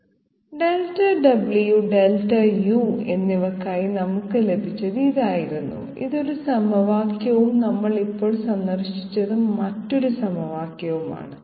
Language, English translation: Malayalam, This was the one expression that we got for Delta w and Delta u, this is one equation and other equation we visited just now this one okay